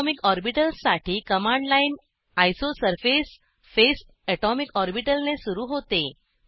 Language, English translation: Marathi, The command line for atomic orbitals starts with isosurface phase atomicorbital